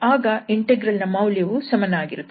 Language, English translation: Kannada, So, the value of this integral is also 0